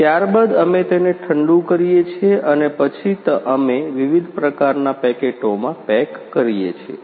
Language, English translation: Gujarati, Subsequently, we cool it and then we pack into the different types of packets